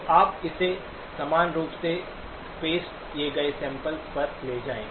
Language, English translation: Hindi, So you take it at uniformly spaced samples